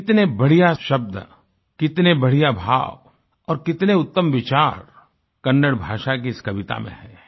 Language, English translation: Hindi, You will notice the beauty of word, sentiment and thought in this poem in Kannada